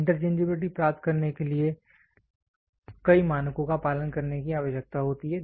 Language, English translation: Hindi, In order to achieve the interchangeability several standards need to be followed